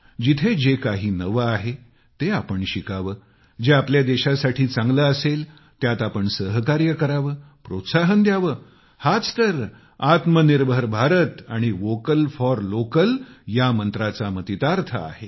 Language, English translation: Marathi, Wherever there is anything new, we should learn from there and then support and encourage what can be good for our countryand that is the spirit of the Vocal for Local Mantra in the Atmanirbhar Bharat campaign